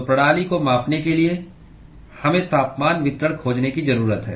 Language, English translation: Hindi, So, in order to quantify the system, we need to find the temperature distribution